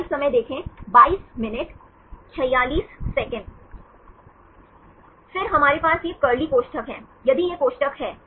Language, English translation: Hindi, Then we have this curly brackets, if this is brackets